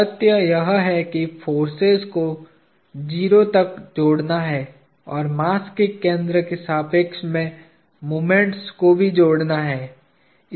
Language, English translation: Hindi, The fact that the forces have to add up to 0 and the moments about the center of mass also have to add up to 0